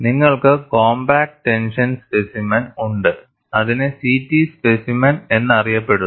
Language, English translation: Malayalam, And you have compact tension specimen, which is known as CT specimen